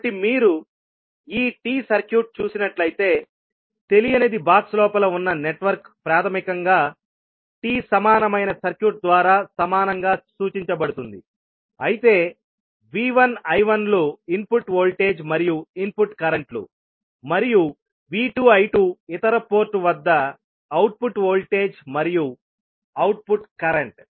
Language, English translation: Telugu, So, if you see this particular T circuit, so the unknown that is basically the network which is there inside the box can be equivalently represented by a T equivalent circuit where VI I1 are the input voltage and input currents and V2 I2 are the output voltage and output current at the other port